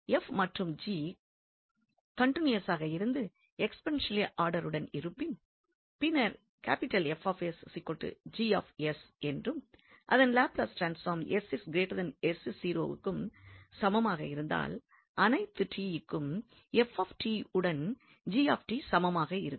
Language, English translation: Tamil, If f and g are continuous and are of exponential order and then if we have this F s is equal to G s, if the Laplace transform are equal for this s greater than s naught then f t would be also equal to g t for all t